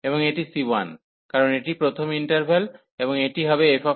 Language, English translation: Bengali, And this is c 1, because this is the first interval and this will be the f x f c 1